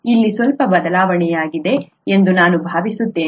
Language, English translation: Kannada, I think there has been a slight shift here